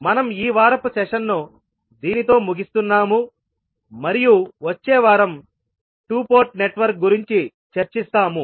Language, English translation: Telugu, So we close this week’s session with this note that we will discuss the 2 port network in next week